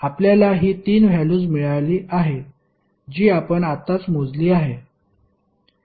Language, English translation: Marathi, You have got these 3 values that what we calculated just now